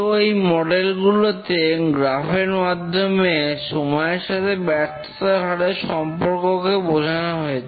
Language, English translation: Bengali, So these models are basically graphical representation of the failure rate over time